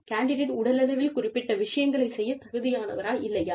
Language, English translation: Tamil, Whether the candidate is physically, able to do certain things